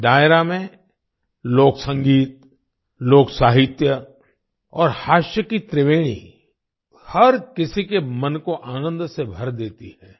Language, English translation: Hindi, In this Dairo, the trinity of folk music, folk literature and humour fills everyone's mind with joy